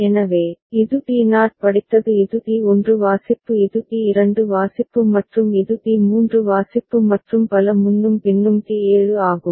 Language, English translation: Tamil, So, this is D naught read this is D1 read this is D2 read and this is D3 read and so on and so forth and then D7